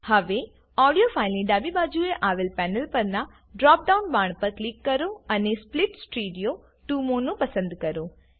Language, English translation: Gujarati, Now click on the drop down arrow on the panel to the left of the audio file and select Split stereo to mono